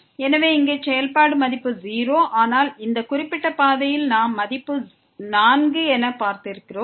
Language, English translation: Tamil, So, here the function value is 0, but along this particular path we have seen the value is 4